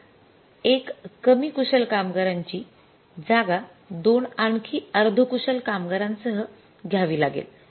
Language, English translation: Marathi, We have to replace that one less skilled worker with that two more semi skilled workers